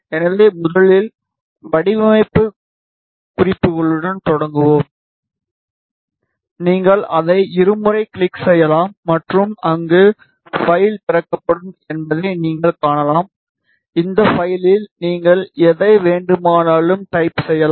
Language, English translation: Tamil, So, let us first start with the design notes, you can double click on it and you see that ah file will be opened you can type in whatever you want in this file